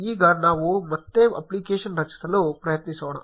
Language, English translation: Kannada, Now let us again try creating the application